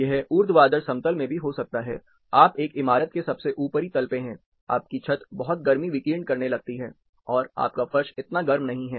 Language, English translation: Hindi, This can also happen in the vertical plane, you are on the top most floor of a building, your roof starts radiating lot of heat, and your floor is not that hot